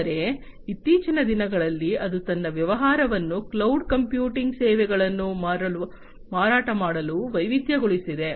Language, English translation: Kannada, But, in recent times it has diversified its business to selling cloud computing services